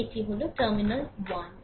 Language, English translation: Bengali, So, this is terminal 1 and 2